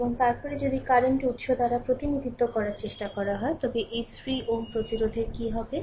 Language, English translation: Bengali, And then if you try to if you try to represented by current source, then what will happen these 3 ohm resistance will be in parallel